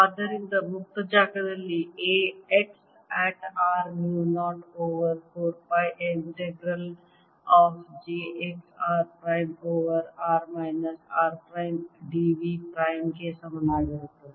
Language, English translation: Kannada, therefore, a x at r is going to be equal to mu zero over four pi integral of j x r prime over r minus r prime d v prime